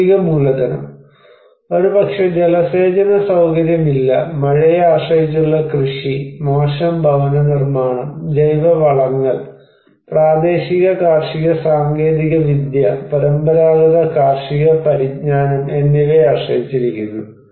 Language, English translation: Malayalam, Physical capital: maybe no irrigation facility, depends on rain fed agriculture, poor housing, and organic fertilizers only, local farming technology, traditional agricultural knowledge